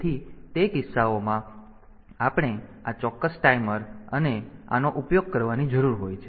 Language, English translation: Gujarati, So, in those cases we need to use this precise timers and this